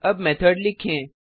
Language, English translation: Hindi, Let us now write a method